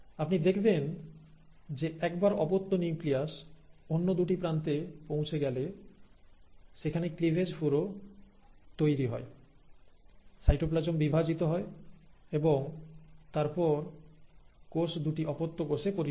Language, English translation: Bengali, You find that once the daughter nuclei have reached the other two ends, there is a formation of cleavage furrow, the cytoplasm divides and then, the cell pinches off into two daughter cells